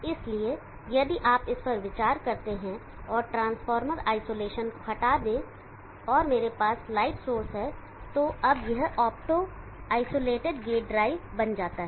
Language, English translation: Hindi, So if you consider this and remove the transformer isolation and I have light source how this becomes an opto isolated gate drive